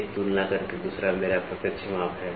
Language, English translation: Hindi, One is by comparison the other one is my direct measurement